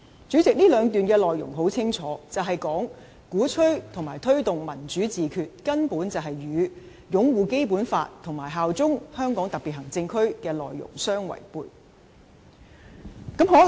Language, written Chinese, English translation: Cantonese, 主席，這兩段內容很清楚，便是鼓吹或推動"民主自決"根本與擁護《基本法》和效忠香港特別行政區的內容相違背。, President these two paragraphs clearly demonstrate that advocacy or promotion of self - determination is absolutely contrary to the content of upholding the Basic Law and pledging allegiance to HKSAR